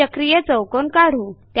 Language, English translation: Marathi, Let us construct a cyclic quadrilateral